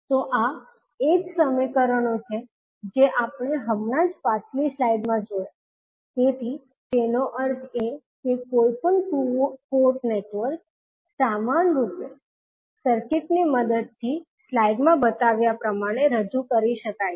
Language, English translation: Gujarati, So, these are the same equations which we just saw in the previous slide, so that means that any two port network can be equivalently represented with the help of the circuit shown in the slide